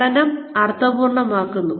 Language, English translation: Malayalam, Making the learning meaningful